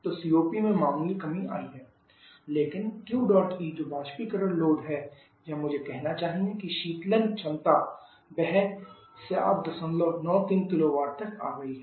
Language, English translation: Hindi, So COP has decrease marginally, but the Q dot E that is the evaporation load or I should say the cooling capacity that has also come to 7